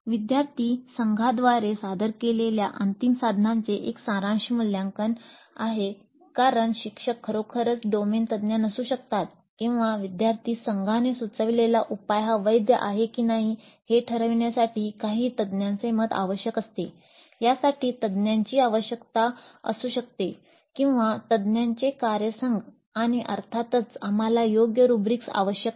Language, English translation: Marathi, Summative assessment of the final solution presented by the student teams because the instructor may not be really a domain expert or because the solution proposed by the student team requires certain expert opinion to judge whether it is a valid solution or not